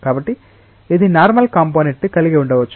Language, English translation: Telugu, So, it may have a normal component